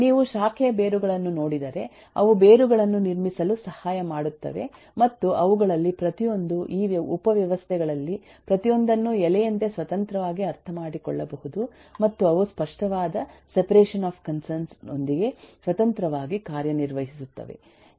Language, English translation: Kannada, If you look at branch roots, they help to build up roots and e a each one of them, each one of these subsystems can be independently understand like a leaf, and they work independently with a clear separation of concern